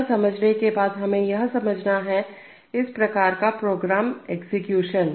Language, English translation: Hindi, Having understood that, we have to understand that, this kind of a program execution